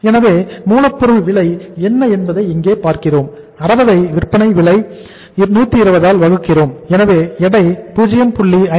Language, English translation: Tamil, So what is the cost of raw material, we have seen here is that is 60 divided by the the here the uh selling price is 120 so weight is that is 0